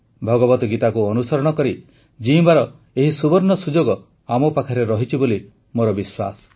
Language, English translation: Odia, I do believe we possess this golden opportunity to embody, live the Gita